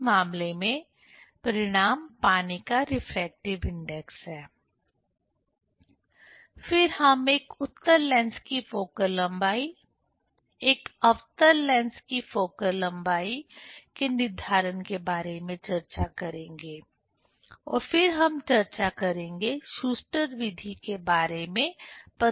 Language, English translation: Hindi, In this case result is the refractive index of water, Then we will discuss about the determination of focal length of a convex lens, focal length of a concave lens and then we will discuss, will demonstrate about the Schuster s method